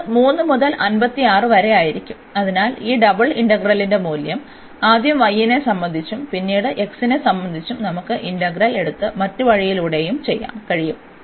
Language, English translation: Malayalam, So, it will be 3 by 56, so that is the value of this double integral by taking the integral first with respect to y and then with respect to x what we can do the other way round as well